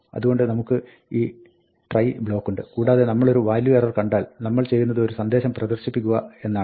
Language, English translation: Malayalam, So, we have this try block and if we see a value error, what we do is, we print a message